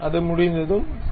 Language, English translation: Tamil, Once it is done, ok